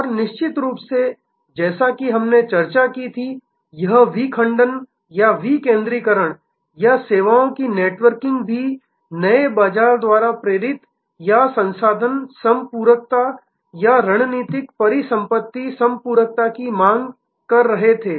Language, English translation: Hindi, And of course, as we discussed there were this fragmentation or decentralization or networking of services were also driven by new market seeking motives or resource complementariness or strategic asset complementariness